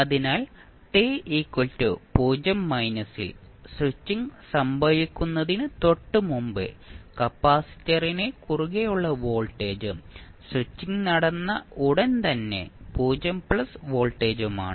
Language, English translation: Malayalam, So, when 0 minus is the voltage across capacitor just before the switching happens and 0 plus is the voltage immediately after the switching happened